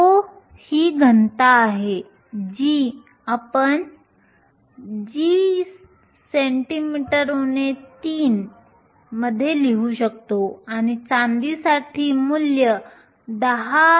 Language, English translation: Marathi, Row is the density you can write it in grams per centimetre cube for silver the value 10